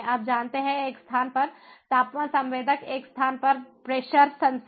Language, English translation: Hindi, you know, temperature sensor in one location, pressure sensor in one location, so on